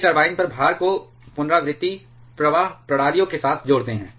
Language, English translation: Hindi, They couple the load on the turbine with the recirculation flow systems